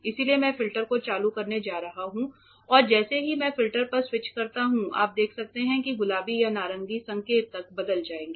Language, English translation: Hindi, So, I am going to switch on the filter and as I switch on the filter you can observe that the pink or the orange indicator will change